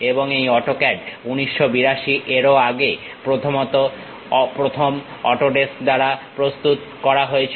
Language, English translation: Bengali, And this AutoCAD is mainly first created by Autodesk, as early as 1982